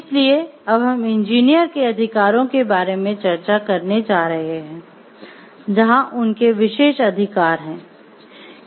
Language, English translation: Hindi, So, now we are going to discuss about the rights of a of an engineer